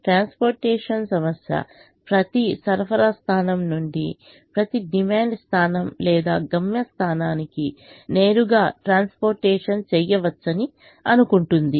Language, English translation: Telugu, unless otherwise stated, the transportation problem assumes that it is possible to transport from every supply point to every demand point or destination point directly